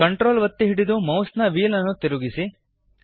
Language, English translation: Kannada, Hold CTRL and scroll the mouse wheel